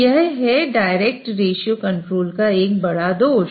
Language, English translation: Hindi, So that's why it's known as a direct ratio control